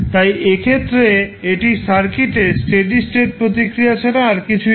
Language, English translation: Bengali, In that case this would be nothing but steady state response of the circuit